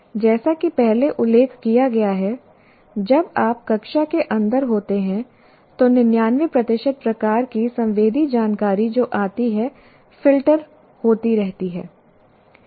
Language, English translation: Hindi, As I said, when you are inside the classroom, something like 99% of the kind of sensory information that comes keeps getting filtered